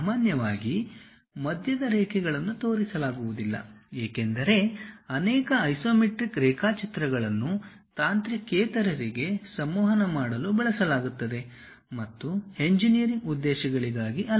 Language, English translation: Kannada, Normally, center lines are not shown; because many isometric drawings are used to communicate to non technical people and not for engineering purposes